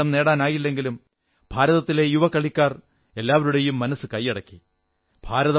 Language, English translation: Malayalam, Regardless of the fact that India could not win the title, the young players of India won the hearts of everyone